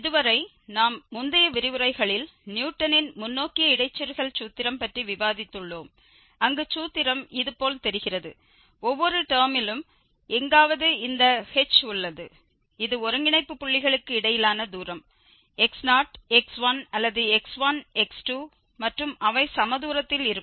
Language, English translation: Tamil, So far we have discussed in previous lectures the Newton's forward interpolation formula where the formula looks like this one, where we have somewhere there in each term this h, which was the distance between the nodal points x naught x 1 or x 1 x 2, and it was assumed that they are equidistant